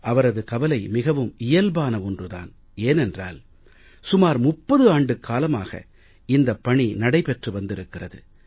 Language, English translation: Tamil, His concern is quite natural because it has been nearly 30 years since work began in this direction